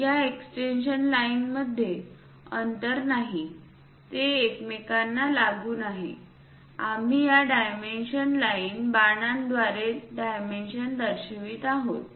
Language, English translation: Marathi, There is no gap between these extension lines, next to each other we are showing dimensions, through these dimension lines arrows